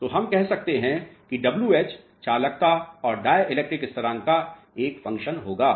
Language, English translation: Hindi, So, we can say that w h will be a function of conductivity and dielectric constant